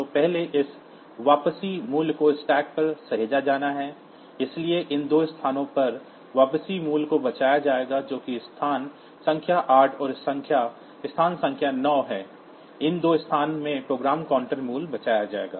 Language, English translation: Hindi, So, first this return value has to be saved onto the stack, so the return value will be saved in these two location that is location number 8 and location number 9; in these two locations the program counter value will be saved